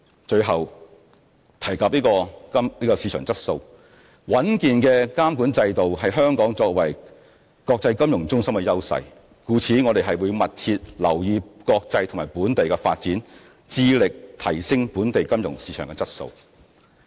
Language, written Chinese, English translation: Cantonese, 最後，提到市場質素，穩健的監管制度是香港作為國際金融中心的優勢，故此我們會密切留意國際和本地的發展，致力提升本地金融市場的質素。, Finally let me say a few words about the issue of market quality . A robust regulatory regime is the competitive edge of Hong Kong as an international financial centre . Hence we will keep a close watch on international and local development and strive to enhance the quality of our financial market